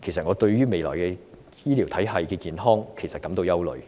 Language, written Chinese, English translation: Cantonese, 我對未來醫療體系的健康感到憂慮。, I am worried about the soundness of the future health care system